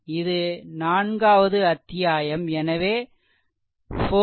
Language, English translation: Tamil, So, this is your its chapter 4